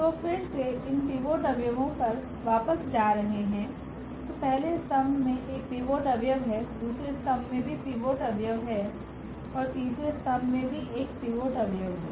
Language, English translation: Hindi, So, getting again back to this pivot elements so, the first column has a pivot, second column has also pivot element and the third column also has a pivot element